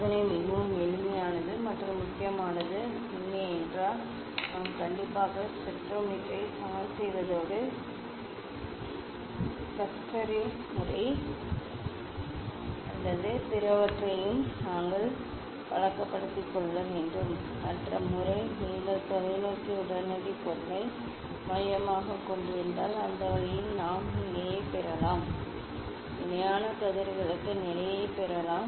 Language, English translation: Tamil, this experiment is very simple and nice important fact is that; we have to; we have to be habituated with the leveling of the spectrometer and with the Schuster s method or other ones, other method I mention that if you a focus the telescope instant object; that way also we can get the parallel, we can get the condition for parallel rays